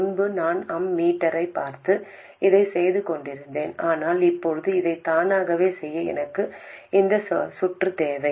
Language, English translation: Tamil, Earlier I was looking at the ammeter and doing this, but now I need the circuit to automatically do this